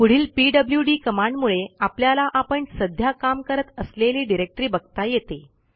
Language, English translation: Marathi, The next command helps us to see the directory we are currently working in